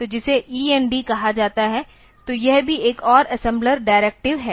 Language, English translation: Hindi, So, which is called END; so, this is also another assembler directive